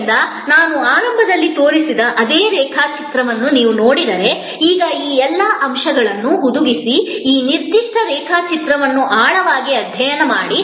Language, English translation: Kannada, Therefore, now if you look at that same diagram that I showed in the beginning, now with all these elements embedded and study this particular diagram in depth